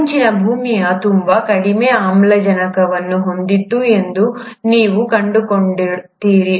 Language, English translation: Kannada, You find that the earlier earth had very low oxygen